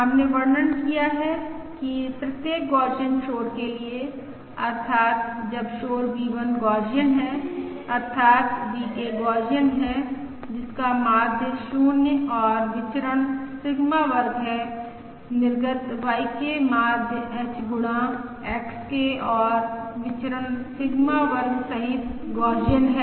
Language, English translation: Hindi, We have described that for each Gaussian noise, that is, when noise V1 is Gaussian, that is VK is Gaussian with mean 0 and variance Sigma square, the output YK is Gaussian with mean H times XK and variance Sigma square